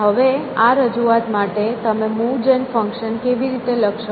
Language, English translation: Gujarati, But, the question is how do I write the move gen function